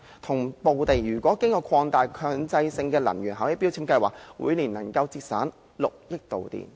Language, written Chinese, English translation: Cantonese, 總體來說，經擴大的強制性標籤計劃，每年可節省6億度電。, The total amount of energy thus saved through the expanded MEELS is expected to reach more than 600 million kWh per annum